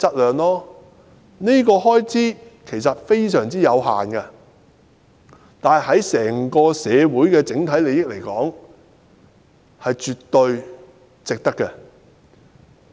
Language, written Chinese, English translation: Cantonese, 這方面的開支非常有限，但對於整個社會的整體利益而言是絕對值得推行。, While the expenditure incurred will be minimal this suggestion is absolutely worthy of implementation considering its overall interests to the entire community